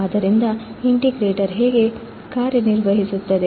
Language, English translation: Kannada, So, this is how the integrator would work